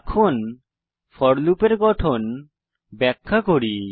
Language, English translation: Bengali, Let me explain the structure of for loop